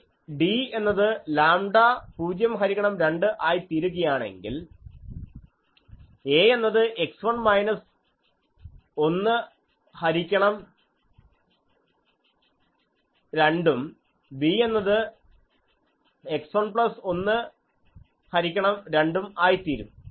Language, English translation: Malayalam, If this d if the d becomes lambda 0 by 2, then a becomes x 1 minus one by 2, b is equal to x 1 plus 1 by 2